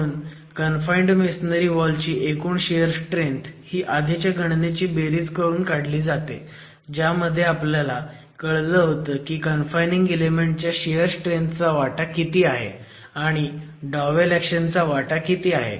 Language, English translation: Marathi, So, finally, the total shear resistance of the confined masonry wall is calculated as a summation of the earlier calculation that we made to understand what is the contribution to shear strength of the confining element and then what is the contribution coming from double action